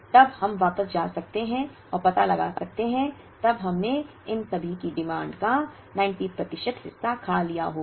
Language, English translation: Hindi, Then we can go back and find out, then we would have consumed 90 percent of the demand of all of these